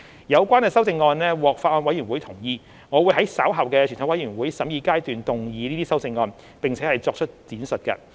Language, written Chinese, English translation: Cantonese, 有關修正案獲法案委員會同意，我會在稍後的全體委員會審議階段動議這些修正案，並作出闡述。, The relevant amendments have been agreed by the Bills Committee . I will move these amendments and elaborate on them later at the Committee stage